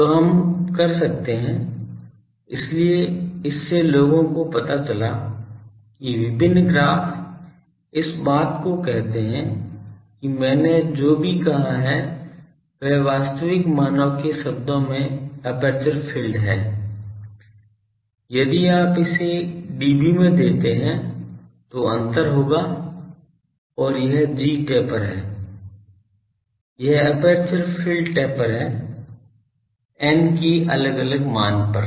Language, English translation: Hindi, So, we can; so, from this people have found out that various graphs this this whatever I have said that aperture field in terms of actual values if you give it in dB then there will be difference and this is the g taper, this is the aperture field taper for various choice of n ok